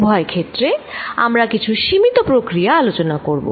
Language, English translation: Bengali, In both the cases, we will be doing some limiting processes